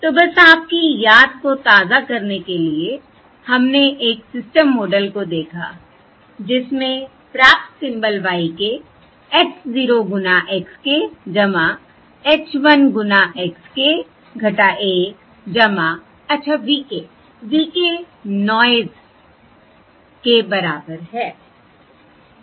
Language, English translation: Hindi, So just to refresh your memory, we looked at a system model in which the received symbol is y k equals h, 0 times x k plus h, 1 times x k minus 1, plus well, v k, v k is the noise